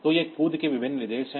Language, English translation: Hindi, So, these are the various instructions of jump